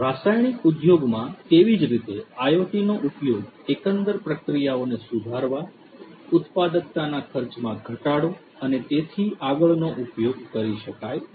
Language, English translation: Gujarati, In the chemical industry likewise IoT could be used for improving the overall processes, productivity reducing costs and so on and so forth